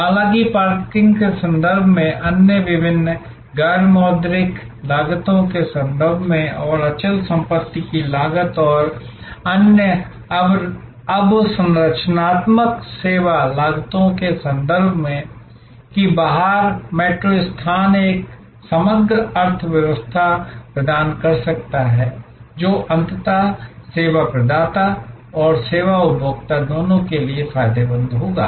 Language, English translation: Hindi, However, in terms of parking, in terms of other various non monetary costs and in terms of the real estate cost and other infrastructural service costs that outside metro location may provide an overall economy, which will be beneficial both for the service provider and ultimately for the service consumer